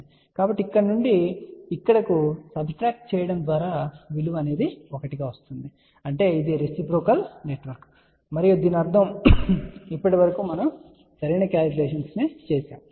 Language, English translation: Telugu, So, subtraction from here to here will lead to a value which is equal to 1 so that means, this is a reciprocal network and that really means that so far we have done the current calculations